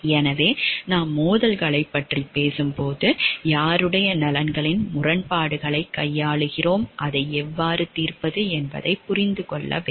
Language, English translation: Tamil, So, when we are talking of conflicts of interest, we have to understand like whose conflicts of interest are we dealing with, and how to resolve it